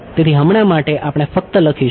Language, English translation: Gujarati, So, for now we will just write